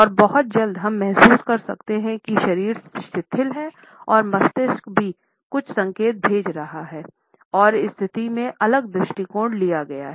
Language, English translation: Hindi, And very soon we may feel that the relaxed body posture would also be sending certain signals to the brain and a different approach can be taken up in this situation